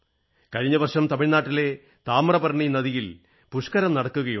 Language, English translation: Malayalam, Last year the Pushkaram was held on the TaamirabaraNi river in Tamil Nadu